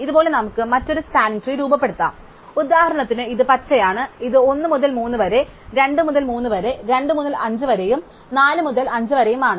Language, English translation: Malayalam, Of course, we could form other spanning tree for instance this is green one, this is 1 to 3, 2 to 3, 2 to 5 and 4 to 5